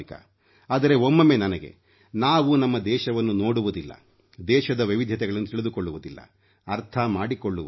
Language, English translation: Kannada, But, it is a matter of concern when we do not see our own country, we do not know about its diversities nor do we understand them